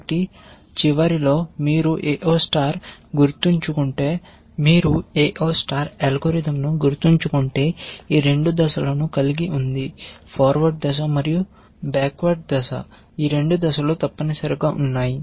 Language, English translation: Telugu, So, at the end of this so, if you remember the AO star algorithm had these 2 phases, the forward phase and the backup phases essentially